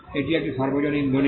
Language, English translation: Bengali, This is a public document